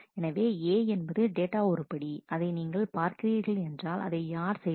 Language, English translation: Tamil, So, a is the data item you are looking at and then you see who is doing it